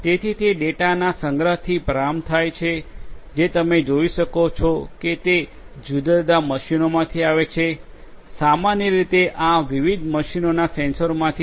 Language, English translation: Gujarati, So, it starts with a collection of data if you look at which comes from different machines, the sensors in these different machines typically